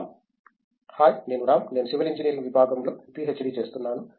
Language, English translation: Telugu, Hi I am Ram; I am doing PhD in the Department of Civil Engineering